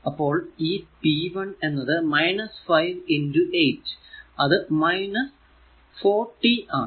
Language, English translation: Malayalam, So, p 1 will be 5 into minus 8 so, minus 41